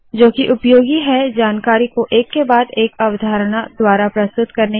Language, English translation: Hindi, Which is useful to present information concept by concept